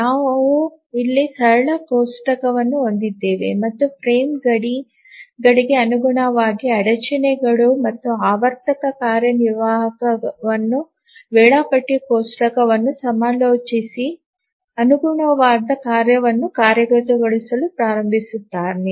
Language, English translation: Kannada, Here we have a simple table here and the interrupts corresponding to the frame boundaries and the cycli executive simply consults the schedule table and just starts execution of the corresponding task